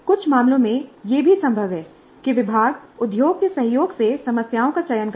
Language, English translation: Hindi, It's also possible in some cases that the department in collaboration with industry selects the problems